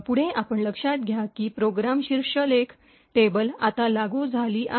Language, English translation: Marathi, Further you will note that the program header table is now applicable now